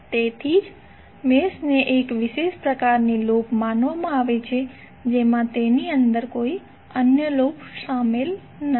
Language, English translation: Gujarati, So that is why mesh is considered to be a special kind of loop which does not contain any other loop within it